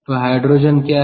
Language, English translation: Hindi, ok, so what is hydrogen